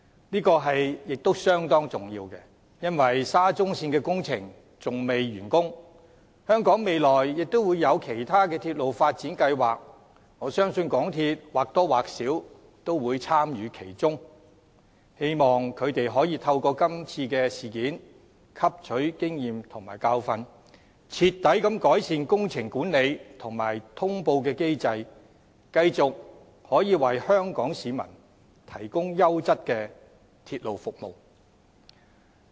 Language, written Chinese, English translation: Cantonese, 這亦相當重要，因為沙中線的工程尚未完成，而香港未來亦有其他鐵路發展計劃，我相信港鐵公司或多或少也會參與其中，希望他們可以透過今次的事件汲取經驗和教訓，徹底改善工程管理及通報機制，繼續為香港市民提供優質的鐵路服務。, That is very important because the SCL project has yet to be completed and I believe MTRCL will be involved to various extents in other railway development projects in the future . I hope that it will gain experience and learn a lesson from this incident as well as seriously improve its systems of works management and notification so that it can continue to provide quality railway service for Hong Kong people